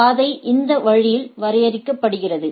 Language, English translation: Tamil, So, the path is defined in this way